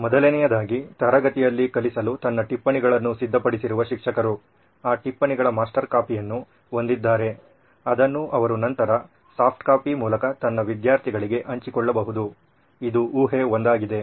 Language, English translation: Kannada, First one would be teachers who is actually preparing her notes to teach in the class has a master copy of that notes in a soft copy, which she can be sharing it to her students later, that would be assumption one